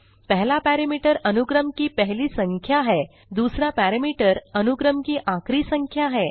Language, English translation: Hindi, The first parameter is the starting number of the sequence and the second parameter is the end of the range